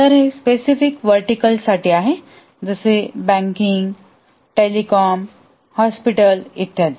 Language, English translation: Marathi, So this is for specific verticals like banking, telecom, hospital and so on